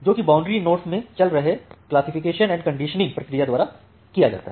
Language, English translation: Hindi, So that are done by the classification and the conditioning process, which is running in a boundary node